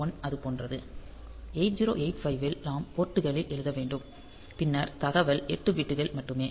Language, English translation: Tamil, So, in case of say 8085; so, we have to write in port and then the data is 8 bits only